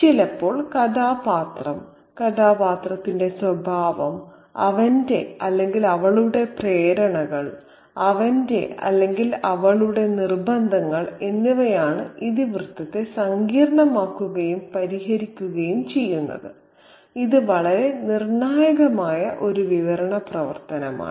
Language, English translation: Malayalam, And sometimes the character, the nature of the character, his or her motivations, his or her compulsions are what kind of initiates, complicate and resolves the plot